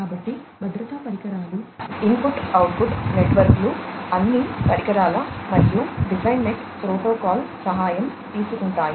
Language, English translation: Telugu, So, you know safety devices, input output networks, etcetera, could all take help of the devices and DeviceNet protocol